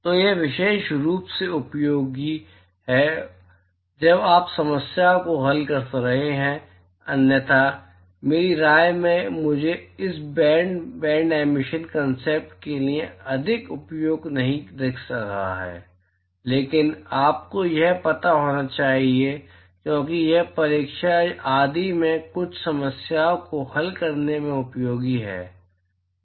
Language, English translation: Hindi, So this is useful particularly when you are solving problems, otherwise my opinion I do not see much use for this band emission concept, but you should know this because it is useful in solving some problems in the exam etcetera